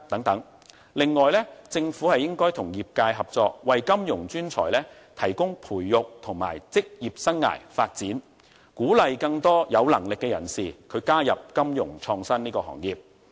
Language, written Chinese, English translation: Cantonese, 此外，政府應該與業界合作，為金融專才提供培育和職業生涯發展，鼓勵更多有能力的人士加入金融創新行業。, For example the Government may provide suitable support for Fintech professionals such as taxation concession and discounted office space in order to encourage more capable people to join the innovative financial industry